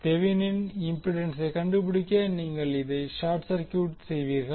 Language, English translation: Tamil, To find out the Thevenin impedance you will short circuit this